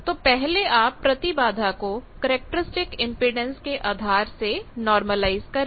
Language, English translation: Hindi, So, first you normalize the impedance with respect to the characteristic impedance, it is given 50 ohm